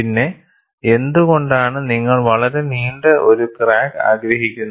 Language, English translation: Malayalam, And, why do you want to have a very long crack